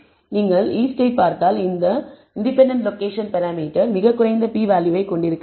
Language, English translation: Tamil, If you look at the east which is this independent location parameter that as does not have a very low p value